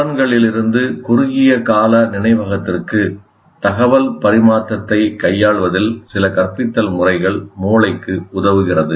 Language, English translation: Tamil, Some of the instructional methods that facilitate the brain in dealing with information transfer from senses to short term memory